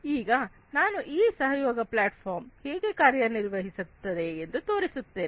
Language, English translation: Kannada, So, let me now show you how this collaboration platform is going to work